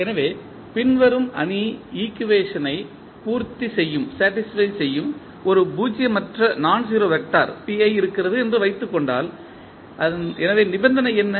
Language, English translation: Tamil, So, suppose if there is a nonzero vector say p i that satisfy the following matrix equation